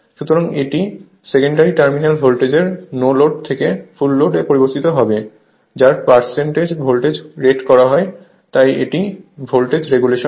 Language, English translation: Bengali, So, it is the net change in the secondary terminal voltage from no load to full load expressed as a percentage of it is rated voltage so, this is my voltage regulation right